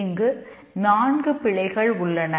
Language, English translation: Tamil, There are four errors here